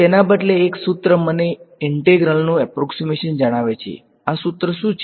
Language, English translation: Gujarati, So, instead a formula tells me an approximation of the integral, what is this formula